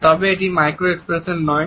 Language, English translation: Bengali, So, what are the micro expressions